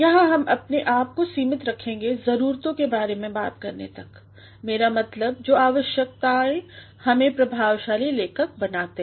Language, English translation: Hindi, Here we shall confine ourselves to talking about the essentials; I mean the requirements that can make us effective writers